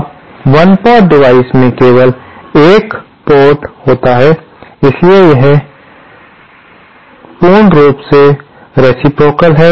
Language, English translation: Hindi, Now, a 1 port device has only one port, therefore it is reciprocal by default